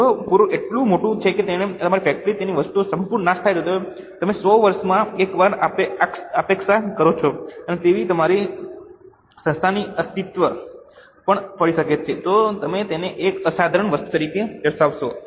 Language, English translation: Gujarati, If flood is so large that it has totally destroyed our factory, something which you expect once in 100 years perhaps, and it may have impact in the existence of your entity itself, then you will categorize it as an extraordinary item